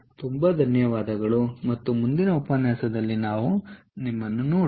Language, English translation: Kannada, ok, ok, thank you very much and see you in the next lecture